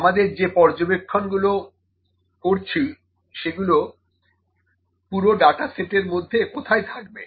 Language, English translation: Bengali, The observation that, we are having where does it lie in the complete data set